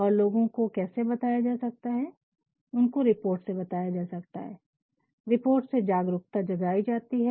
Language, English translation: Hindi, And, how can people be told people can be told through reports awareness can be created